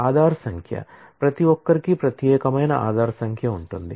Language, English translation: Telugu, Aadhaar number; everybody has a unique Aaadhaar number